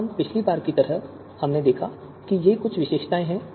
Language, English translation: Hindi, Now attributes like the last time we saw that these are some of the attributes